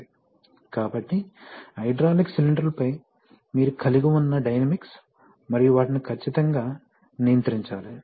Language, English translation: Telugu, So, this is the kind of dynamics that you have on hydraulic cylinders and they have to be precisely controlled